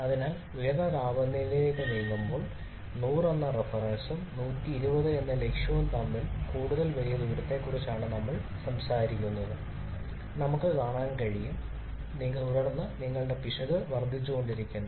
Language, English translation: Malayalam, Therefore we can see that as we are moving to higher temperatures so we are talking about if further large distance between the reference which is 100 and the objective that is 120 then your error keeps on increasing